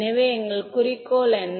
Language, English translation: Tamil, So, what is our goal